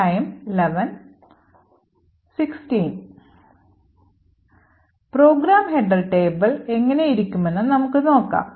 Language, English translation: Malayalam, So, we will look how the program header table looks like